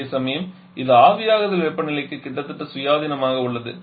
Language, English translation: Tamil, Whereas it is virtual independent it is virtual independent on the evaporation temperature